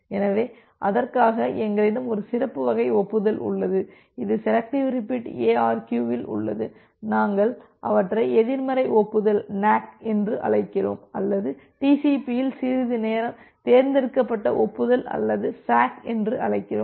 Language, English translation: Tamil, So, for that we have one special type of acknowledgement which is there in selective repeat ARQ, we call them as the negative acknowledgement NAK or some time in TCP it calls selective acknowledgement or SACK